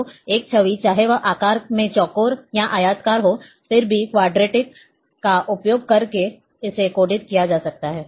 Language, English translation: Hindi, So, an image whether it is square in shape, or rectangular, still it can be coded, using Quadtree